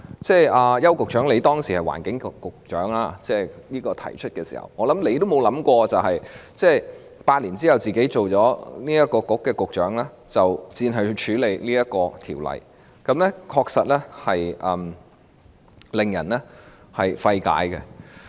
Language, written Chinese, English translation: Cantonese, 邱騰華局長，你擔任環境局局長時，相信也沒想過，在8年後成為商務及經濟發展局局長時，要接手處理《條例草案》，這確實令人費解。, Secretary Edward YAU when you were the Secretary for the Environment I trust you have never thought about having to take over to deal with the Bill after becoming the Secretary for Commerce and Economic Development eight years later . This is indeed perplexing